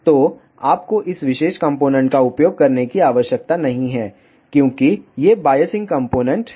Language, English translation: Hindi, So, you need not to use this particular component, because these are the biasing components